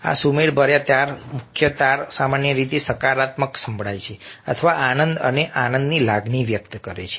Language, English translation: Gujarati, major chords generally are positive sounding or convey sense of joy and happiness